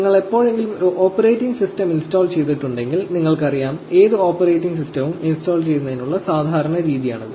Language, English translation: Malayalam, If you have ever installed in operating system, you will know these, this is standard way any operating system is installed